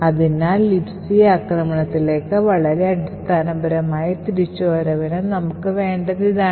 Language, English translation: Malayalam, Okay, so this is all that we need for a very basic return to libc attack